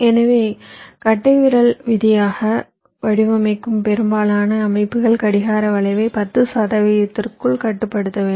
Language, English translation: Tamil, so, as a rule of thumb, most of the systems we design, we have to limit clock skew to within ten percent